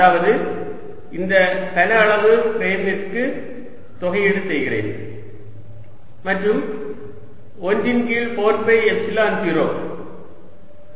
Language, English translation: Tamil, that is, i am integrating over this prime volume in one over four pi epsilon zero